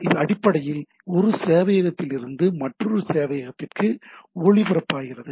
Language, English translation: Tamil, So this basically it relays from one server to another